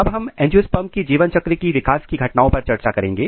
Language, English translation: Hindi, Now, we will discuss about the developmental events during angiosperms life cycle